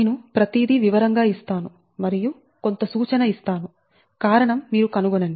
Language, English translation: Telugu, right, i give everything in details and i will give you some hint, but you find out what will the reason